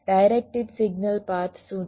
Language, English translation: Gujarati, what is a directed signal path